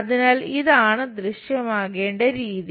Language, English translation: Malayalam, So, this the way supposed to be visible